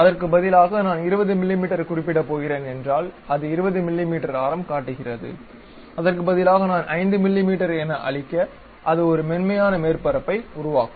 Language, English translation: Tamil, Instead of that, if I am going to specify 20 mm, it shows 20 mm radius; instead of that if I am showing 5, a smooth surface it will construct